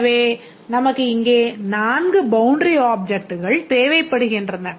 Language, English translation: Tamil, So, we need four boundary objects